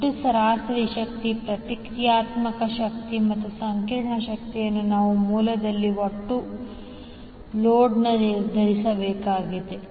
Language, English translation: Kannada, We need to determine the total average power, reactive power and complex power at the source and at the load